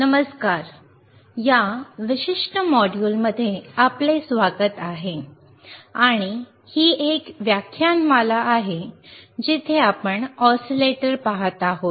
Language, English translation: Marathi, Hi, welcome to this particular module and this is a lecture series where that we are looking at oscillator’s right